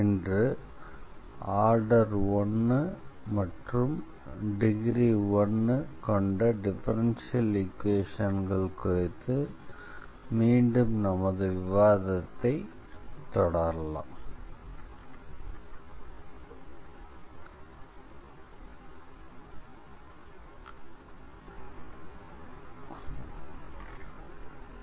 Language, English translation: Tamil, And today we will continue our discussion again on differential equations of order 1 and degree 1